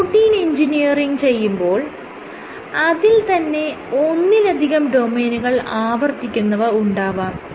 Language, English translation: Malayalam, So, you have to engineer proteins which contain one or multiple domains repeating